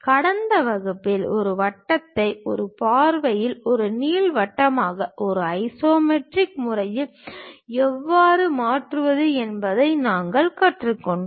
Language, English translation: Tamil, In the last class, we have learnt how to really transform this circle in one view into ellipse in the isometric way